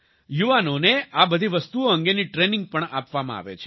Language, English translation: Gujarati, Youth are also given training for all these